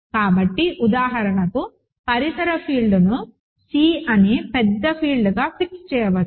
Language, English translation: Telugu, So, we can for example, fix the ambient field to be the bigger field to be C